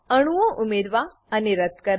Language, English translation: Gujarati, * Add and delete atoms